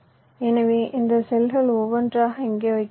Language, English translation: Tamil, so this cells you are placing here one by one